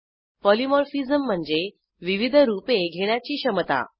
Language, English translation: Marathi, Polymorphism is the ability to take different forms